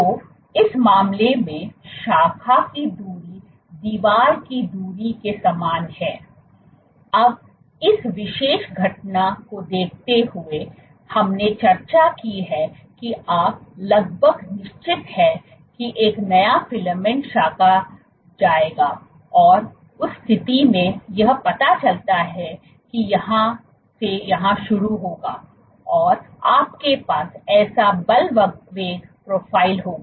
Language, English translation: Hindi, So, in this case the branching distance is exactly the same as the wall distance, now given this particular phenomena that we just discussed you are almost sure that a new filament will branch, in that case it turns out your you will have a force velocity profile it will start from here and will have a force velocity profile like this